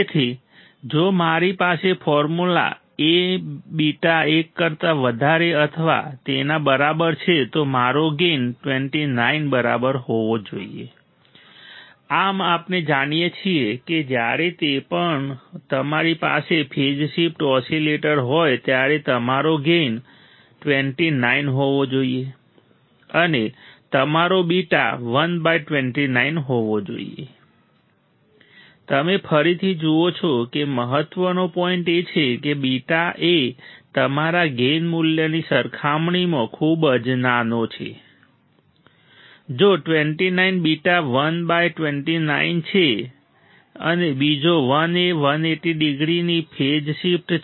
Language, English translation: Gujarati, So, if I have the formula a beta is greater than or equal to one my gain should be equal to 29 right thus we know that whenever you have a phase shift oscillator you’re gain should be 29 and your beta should be 1 by 29, you see again that the important point is beta is extremely small compared to your gain value right if 29 beta is 1 by 29 and another 1 is the phase shift of 180 degree